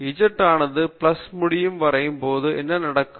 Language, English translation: Tamil, What will happen when z goes to plus infinity